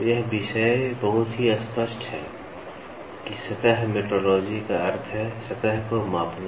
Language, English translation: Hindi, So, it is very clear from the topic itself surface metrology means, measuring the surface